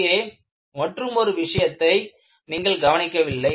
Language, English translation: Tamil, And, there is another important point, which you have not noticed